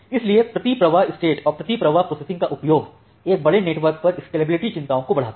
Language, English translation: Hindi, So use of this per flow state and per flow processing, it raises the scalability concerns over a large network